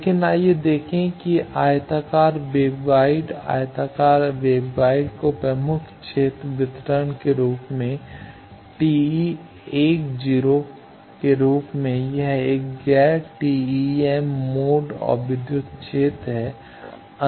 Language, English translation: Hindi, But, let us see rectangular waveguide, rectangular waveguide as dominant field distribution as TE 10 it is a non TEM mode and electric field